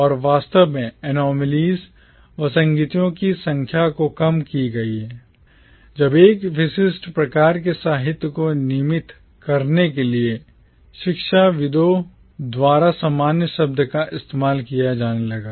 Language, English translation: Hindi, And, in fact, the number of anomalies got compounded when the term commonwealth started being used by the academicians to designate a particular kind of literature